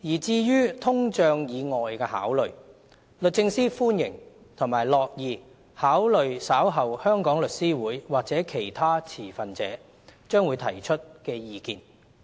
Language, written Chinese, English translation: Cantonese, 至於通脹以外的考慮，律政司歡迎及樂意考慮稍後香港律師會或其他持份者將會提出的意見。, In respect of other factors other than inflation DoJ welcomes and is happy to consider any views to be submitted by The Law Society of Hong Kong and other stakeholders